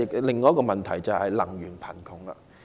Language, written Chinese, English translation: Cantonese, 另一個問題是能源貧窮。, Another problem is power poverty